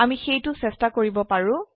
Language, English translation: Assamese, We can try that now